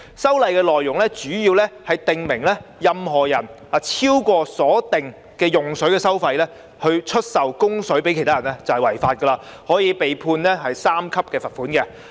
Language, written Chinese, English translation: Cantonese, 修例的內容，主要是訂明任何人如以超過所定的用水收費出售供水以供給他人，即屬違法，可被判處第3級罰款。, The contents of the legislative amendment mainly seek to provide that anyone who sells or supplies water to another person at a price exceeding the specified charges for water commits an offence and is punishable by a fine at level 3